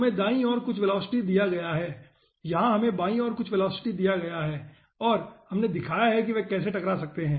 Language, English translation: Hindi, we have given some velocity towards left and we have shown how they can collide